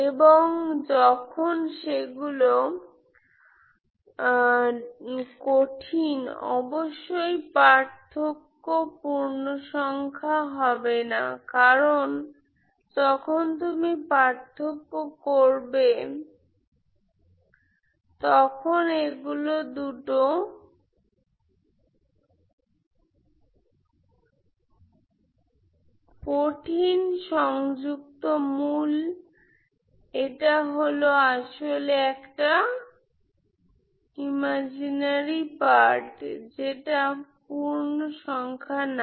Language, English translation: Bengali, And when they are complex obviously the difference is non integer because it is when the two complex conjugate roots when you take the difference it is actually becomes imaginary part which is non integer, okay